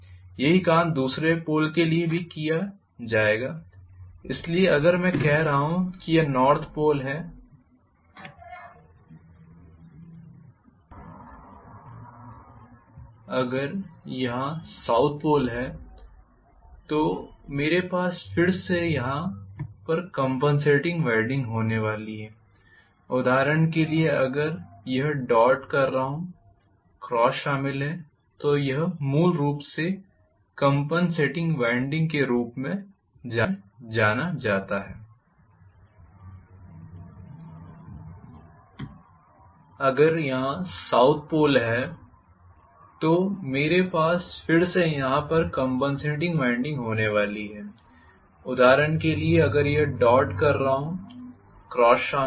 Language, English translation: Hindi, The same thing will be done for the other pole as well, so if I am having this is north pole, if I am having south pole here I would again had compensating winding here which will be carrying, for example dot, if I am having crosses